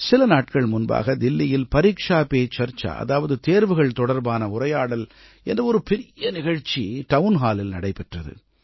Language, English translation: Tamil, A few weeks ago, an immense event entitled 'ParikshaPeCharcha' was organised in Delhi in the format of a Town Hall programme